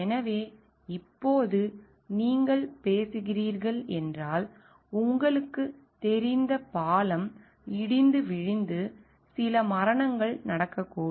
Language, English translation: Tamil, So now if you are talking of maybe a you know bridge falling down and some deaths happening